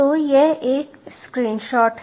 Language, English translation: Hindi, so this is one screenshot